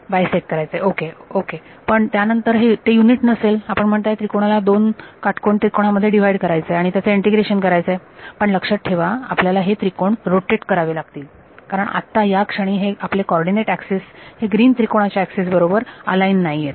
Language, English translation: Marathi, Bisect it ok, but then it is still not unit you are saying break up the triangles into 2 right angled triangles and do the integration of each other,, but remember the your you then you also have to rotate your triangles because right now your co ordinate axis are what your triangles are not aligned with the co ordinate axis like the green triangle right this is your x and y